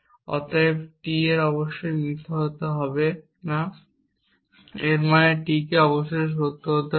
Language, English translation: Bengali, to us if not T is false then T must be true